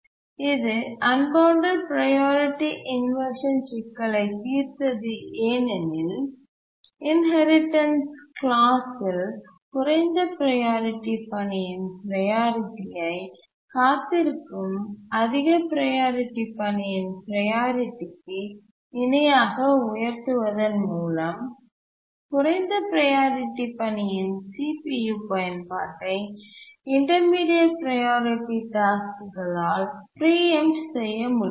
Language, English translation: Tamil, It solved the unbounded priority inversion problem because in the inheritance clause the priority of the low priority task is raised to the priority of the high task that is waiting, high priority task that is waiting and therefore the intermediate priority tasks that were preempting the low priority task from CPU users cannot do so and therefore the unbounded priority problem is solved